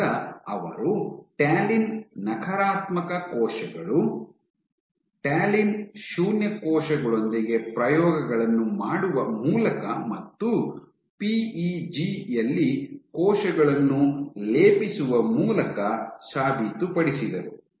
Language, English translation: Kannada, So, this they proved by doing experiments with talin negative cells, talin null cells and by plating cells on PEG